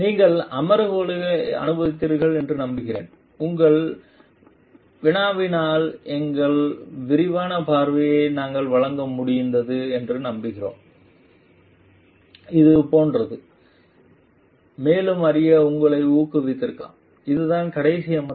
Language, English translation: Tamil, Hope you have enjoyed the sessions, hope we have been able to give our extensive coverage to your queries and like which has maybe encouraged you to learn further we this is the this being the last session